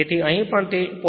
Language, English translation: Gujarati, So, here also it is your 0